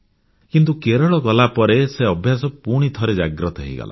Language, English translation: Odia, When I went to Kerala, it was rekindled